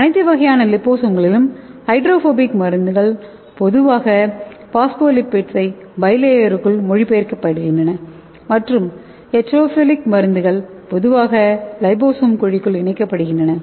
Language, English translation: Tamil, And in all types of liposomes hydrophobic drugs are usually localized within the phospholipids bilayer and the hydrophilic drugs are usually encapsulated within the liposome cavity okay